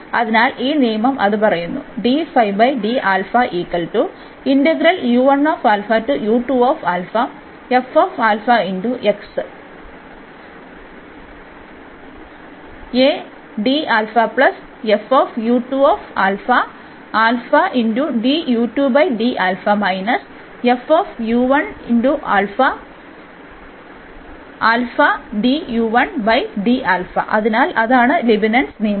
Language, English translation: Malayalam, So, this was the direct application of the Leibnitz rule